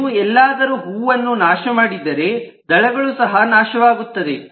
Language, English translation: Kannada, so if you destroy a flower, the petals will also be destroyed